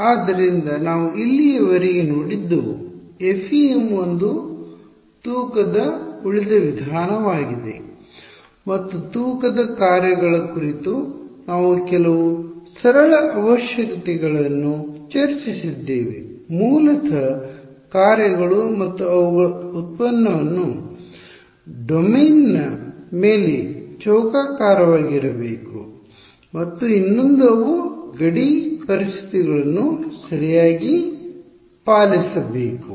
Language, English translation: Kannada, So, what we have seen so far is this idea that FEM is a weighted residual method and we discussed some very simple requirements on the weighting functions; basically that the functions and their derivative should be square integrable over the domain and the other is that they must obey the boundary conditions ok